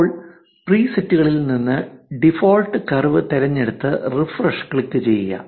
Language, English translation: Malayalam, Now, from the presets select default curved and press refresh